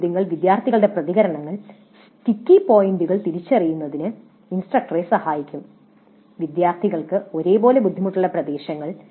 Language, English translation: Malayalam, So some of the questions can be in such a way that the responses of students would help the instructor in identifying the sticky points, the areas where the students uniformly have some difficulty